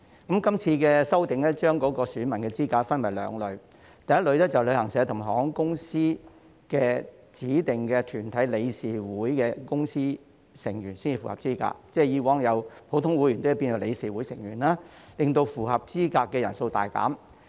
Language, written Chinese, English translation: Cantonese, 這次修訂將選民資格分為兩類，第一類是有權在旅行代理商及航空業指定團體的理事會/執行委員會表決的團體成員才符合資格，即是由以往的普通成員改為理事會/執行委員會成員，令符合資格的人數大減。, There will be two categories of voters after this amendment exercise . First only corporate members of designated bodies of travel agents and the aviation industry entitled to vote at the Board of DirectorsExecutive Committee of the Board are eligible . That is to say the criteria have been changed from ordinary members to members of the Board of DirectorsExecutive Committee of the Board resulting in a significant reduction in the number of eligible persons